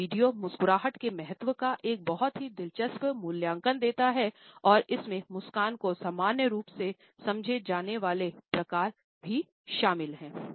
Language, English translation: Hindi, This particular video gives a very interesting assessment of the significance of a smiles and also covers normally understood types of a smiles